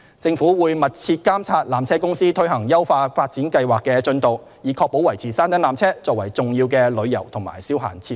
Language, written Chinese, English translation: Cantonese, 政府會密切監察纜車公司推行優化發展計劃的進度，以確保維持山頂纜車作為重要的旅遊及消閒設施。, The Government will closely monitor the progress of PTCs implementation of the upgrading plan to ensure that the peak tramway remains an important tourism and recreational facility